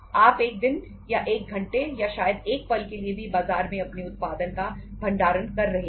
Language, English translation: Hindi, You are storing your production in the market even for a day an hour or maybe a moment not at all